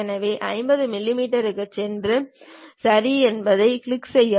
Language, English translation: Tamil, So, go 50 millimeters, then click Ok